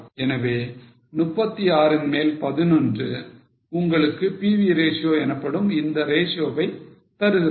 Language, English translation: Tamil, So, 11 upon 36 will give you this ratio known as pv ratio